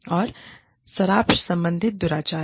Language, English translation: Hindi, And, alcohol related misconduct